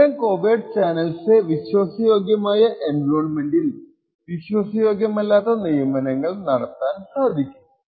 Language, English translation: Malayalam, Such kind of covert channels can be done from a trusted environment to the untrusted appointment